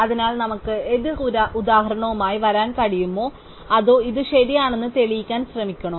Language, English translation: Malayalam, So, can we come up with the counter example or should we instead try to prove this is correct